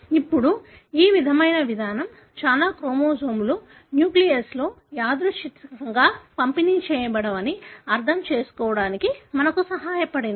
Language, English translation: Telugu, Now, this kind of approach also has helped us to understand that chromosomes are not randomly distributed in the nucleus